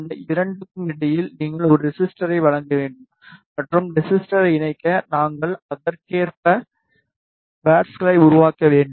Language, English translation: Tamil, You need to provide a resistor between these 2 and to connect the resistor we should provide the parts accordingly